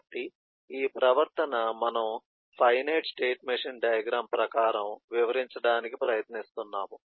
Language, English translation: Telugu, so this behavior we are trying to describe in terms of a finite machine diagram